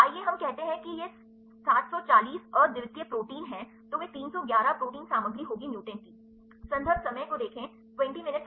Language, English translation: Hindi, Let us say it is 740 unique proteins right then, they would 311 proteins content of the mutants